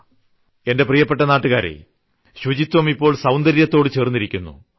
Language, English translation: Malayalam, My dear countrymen, cleanliness is also getting associated with beauty